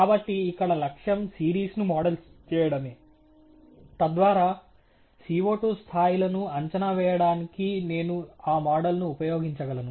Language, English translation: Telugu, So, the goal here is to model the series, so that I can use that model for forecasting the CO 2 levels